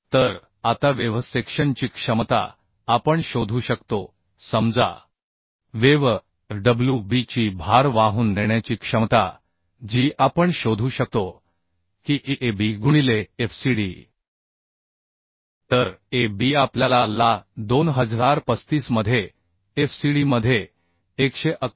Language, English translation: Marathi, we can find out, say, load carrying capacity of the web, Fwb, that we can find out the Ab into Fcd, so Ab we found out as 2035, into Fcd as 11156